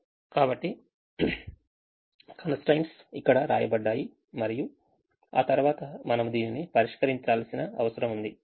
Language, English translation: Telugu, so the constraints are written here and then we need to solve this